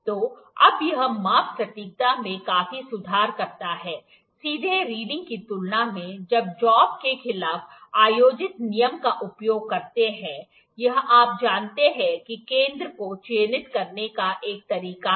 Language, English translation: Hindi, So, now this greatly improves the measurement accuracy when compared to taking reading directly using a rule held against the job, this you know one way is to mark the center